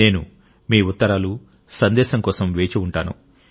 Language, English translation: Telugu, I will be waiting for your letter and messages